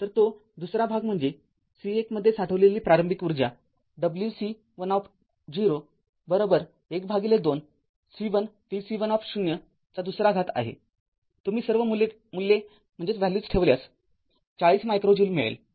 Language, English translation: Marathi, So, that second part is initial energy stored in C 1 it is w c 1 0 is equal to half C 1 v c 1 0 square, you put all the values you will get 40 ah micro joule